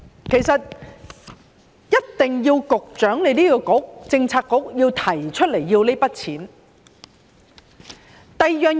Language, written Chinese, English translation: Cantonese, 其實，一定要局長的政策局提出撥款申請。, In fact the Secretarys Bureau must submit a funding request